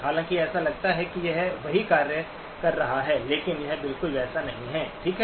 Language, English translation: Hindi, Though it does seem to be doing the same functions but it is not exactly the same, okay